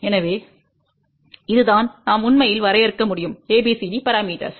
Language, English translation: Tamil, So, this is how we can actually define ABCD parameters